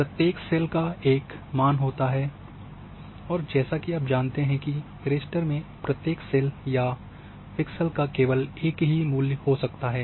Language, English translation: Hindi, So, each cell represents a value and as you that in the raster each cell or pixel can have only one single attribute